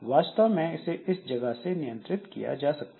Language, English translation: Hindi, So, this is controlled actually at this point